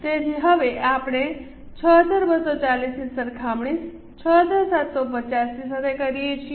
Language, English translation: Gujarati, So, it is a comparison of 6 240 with 6750